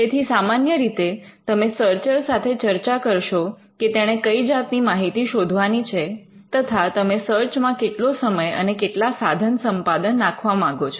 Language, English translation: Gujarati, So, you would normally discuss with the searcher as to what are the things that the searcher should look for, and what is the time and resources that you will be putting into the search